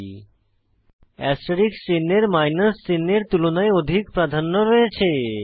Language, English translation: Bengali, Here the asterisk symbol has higher priority than the minus sign